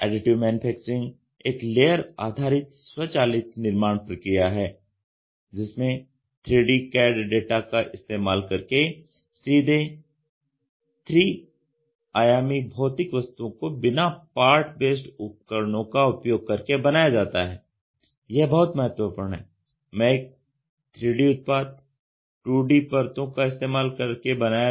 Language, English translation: Hindi, Additive Manufacturing is a layered based automated fabrication process for making scale 3 dimensional physical objects directly from a 3D cad data without using part depending tools this is very very important